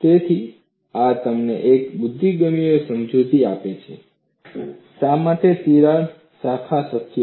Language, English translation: Gujarati, So, this gives you a possible explanation, why crack branching is possible